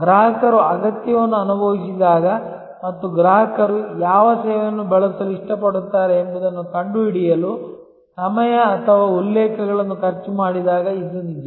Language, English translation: Kannada, This is actually when the customer has felt the need and customer has spend the time or references to find that which service you assured like to use